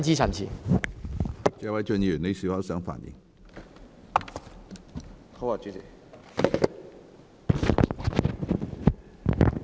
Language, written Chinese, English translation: Cantonese, 謝偉俊議員，你是否想發言？, Mr Paul TSE do you wish to speak?